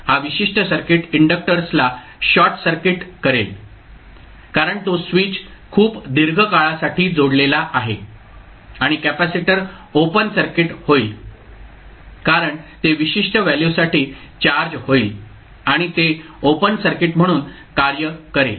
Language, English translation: Marathi, That this particular circuit will give inductor as a short circuit because it is switch is connected for very long period and the capacitor will be open circuit because it will be charge to certain value and it will act as an open circuit